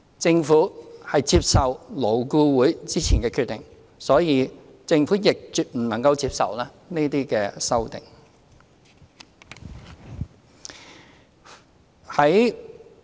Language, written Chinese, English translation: Cantonese, 政府接受勞顧會之前的決定，所以政府亦絕不能夠接受這些修正案。, As the Government has accepted the previous decision of LAB the Government can by no means accept these amendments